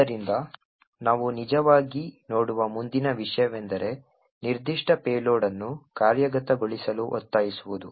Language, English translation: Kannada, So, the next thing we will actually look at is to force up specific payload to execute